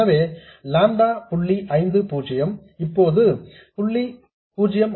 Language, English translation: Tamil, So, lambda is 0